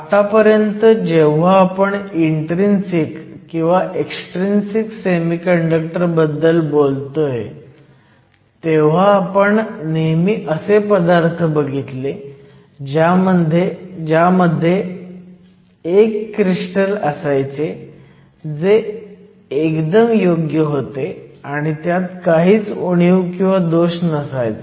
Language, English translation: Marathi, So far, when we have talked about an intrinsic semiconductor or when we talked about an extrinsic semiconductor, we always consider materials that are single crystals which are perfect and have no defects